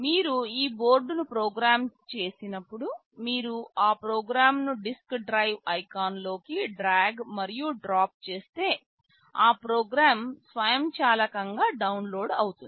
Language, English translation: Telugu, When you program this board you simply drag and drop that program into the disk drive icon, that program will automatically get downloaded